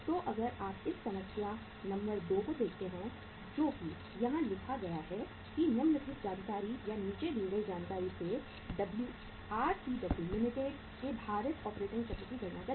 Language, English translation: Hindi, So if you look at this problem uh problem number 2 say uh it is written here that calculate the weighted operating cycle of RCW Limited from the following information or the information given here as under